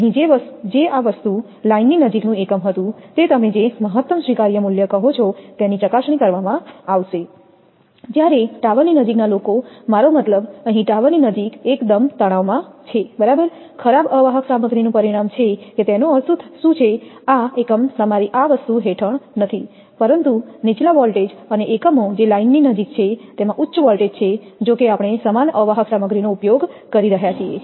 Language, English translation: Gujarati, Here which was that a unit near to the this thing line, it will be test your what you call the maximum allowable value while those near to the tower, I mean here near to the tower are considerably under stress right, resulting in a worst of insulating material that what does it mean that this unit this unit is not under your this thing, but at your at lower voltage and units which is near to the line it has the higher voltage all though we are using the identical insulating material